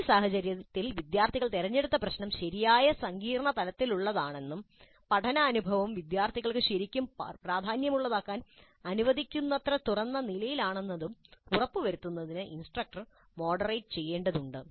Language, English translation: Malayalam, Because in this case, instructor has to moderate to ensure that the problem selected by the students is of right complexity level as well as open and read enough to permit the learning experience to be really significant for the students